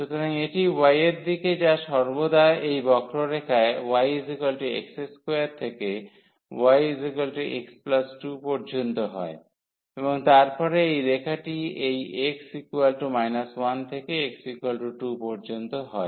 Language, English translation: Bengali, So, this is in the direction of y which is always from this curve y is equal to x square to y is equal to x plus 2 and then this line will move from this x is equal to minus 1 to x is equal to 2